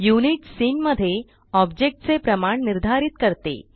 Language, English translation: Marathi, Units determines the scale of the objects in the scene